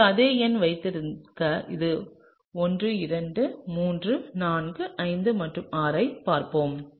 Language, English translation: Tamil, So, I am just going to number these 1 2 3 4 5 and 6